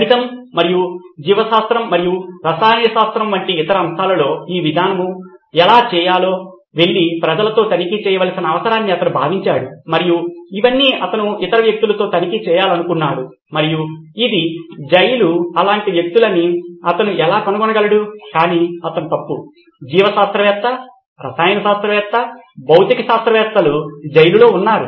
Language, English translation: Telugu, And then he felt the need for going and checking with people as to how to how does this fair in other domains like mathematics and biology and chemistry and all this he wanted to check with other people and this is a prison I mean how could he find such people, but he was wrong, there were other people who were biologist, chemist, physicist